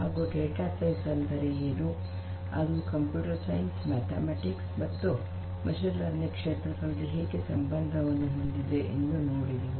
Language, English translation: Kannada, We have also seen what data sciences and how it relates to fields of computer science mathematics and machine learning